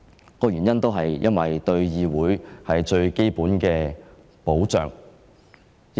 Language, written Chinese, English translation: Cantonese, 究其原因，就是向議會提供最基本的保障。, The reason is that the parliaments should be provided with fundamental protection